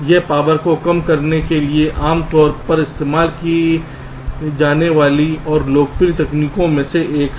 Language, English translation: Hindi, this is one of the very commonly used and popular technique for reducing power